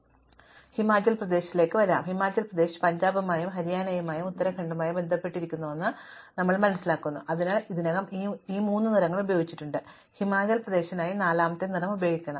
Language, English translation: Malayalam, However, when we come to Himachal Pradesh, we find that Himachal Pradesh is connected to Punjab and Haryana and Uttrakhand and therefore, we have already used up these three colors and we must use a fourth color for Himachal Pradesh